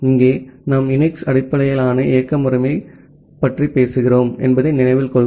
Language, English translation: Tamil, And remember that here we are talking about a UNIX based operating system